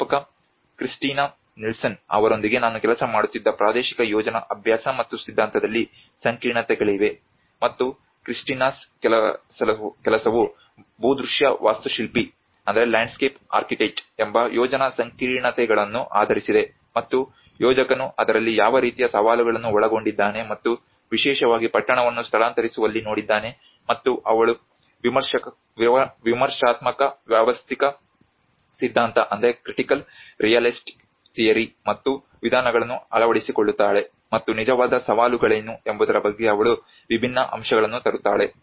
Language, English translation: Kannada, Also there has been complexities in the spatial planning practice and theory I was working with Professor Kristina Nilsson and Kristinas work is based on planning complexities being a landscape architect and the planner she looked at what kind of challenges involved in it and especially in moving the town and she adopts the critical realist theory and methods, and she brings different aspects into what are the real challenges